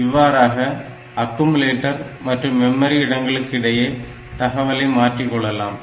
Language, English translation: Tamil, So, this way I can have this data transferred between accumulator and memory locations